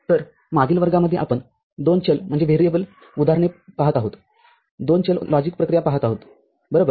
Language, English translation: Marathi, So, the in the previous classes we are looking at two variable examples two variable logic operations right